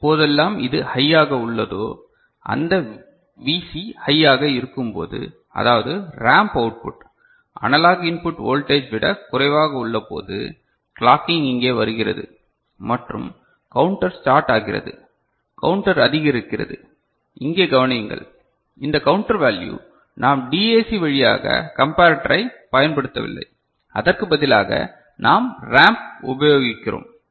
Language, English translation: Tamil, So, whenever as long as it is remaining high, this Vc is remaining high; that means, ramp output is less than the analog input voltage, the clocking comes here and counters starts counter is increasing, note that this counter value we are not using through DAC for comparator, we are using the ramp instead ok